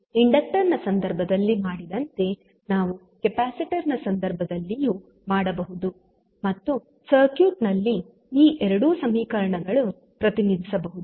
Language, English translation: Kannada, So, we can represent as we did in case of inductor, we can do in case of capacitor also and represent these two equations in the circuit